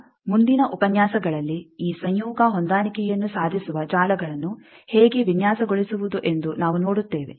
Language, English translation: Kannada, Now, in the next lectures we will see that how to design networks which achieves this conjugate matching